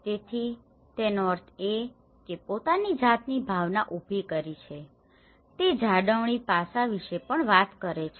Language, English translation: Gujarati, So, that means that has created some sense of ownness also talks about the maintenance aspect